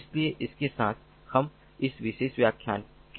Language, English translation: Hindi, so with this we come to an end of this particular lecture and ah